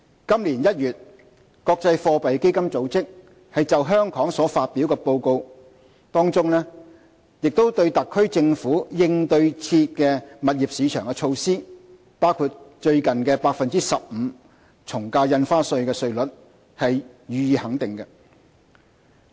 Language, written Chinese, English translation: Cantonese, 今年1月，國際貨幣基金組織就香港所發表的報告，當中亦對特區政府應對熾熱的物業市場的措施，包括最近的 15% 從價印花稅稅率，予以肯定。, This January in its report released on Hong Kong the International Monetary Fund also recognized the measures adopted by SAR Government to address an overheated property market including the AVD rate of 15 % recently introduced